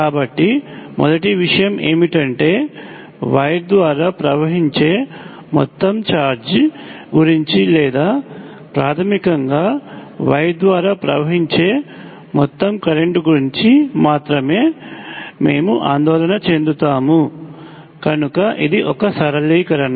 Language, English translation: Telugu, So the first thing is that we will only worry about the total amount of charge that is flowing through the wire or basically the total current flowing through the wire, so that is one simplification